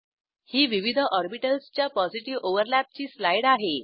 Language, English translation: Marathi, Here is a slide for Positive overlap of different orbitals